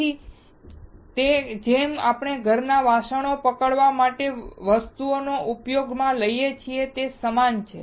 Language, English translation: Gujarati, So, it is more or less similar to the thing that we use to hold the utensils at home